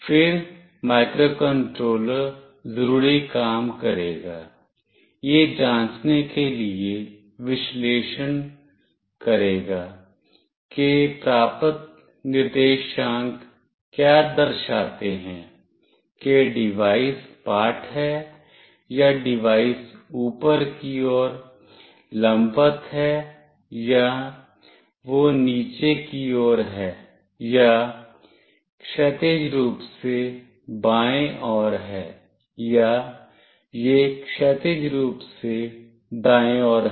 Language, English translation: Hindi, Then the microcontroller will do the needful, it will analyze to check whether the coordinates received signifies that the device is flat or the device is vertically up or it is vertically down or it is horizontally left or it is horizontally right